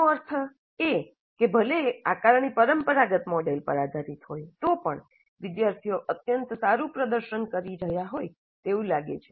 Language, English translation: Gujarati, That means even if the assessment is based on the traditional model, the students seem to be doing extremely well